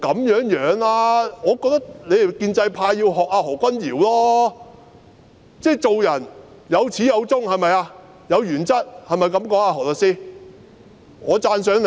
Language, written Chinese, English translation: Cantonese, 我認為你們建制派要向何君堯議員學習，做人總要有始有終，堅持原則，這樣說對嗎，何律師？, I think you people in the pro - establishment camp should learn from Dr Junius HO . It is important to persevere with ones principles from the beginning till the end . Am I right Solicitor HO?